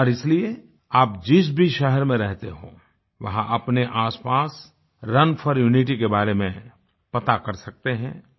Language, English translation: Hindi, And so, in whichever city you reside, you can find out about the 'Run for Unity' schedule